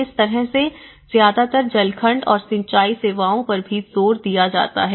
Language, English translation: Hindi, This is how mostly emphasized on the water segment and the irrigation services as well